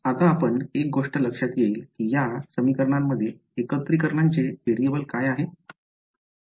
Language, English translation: Marathi, Now, one thing that you will notice is in these equations what is the variable of integration